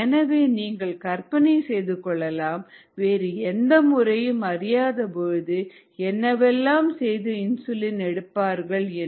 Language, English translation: Tamil, so you can imagine what needed to be done to get insulin when no other method was known